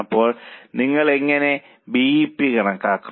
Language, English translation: Malayalam, So, how will you calculate BEP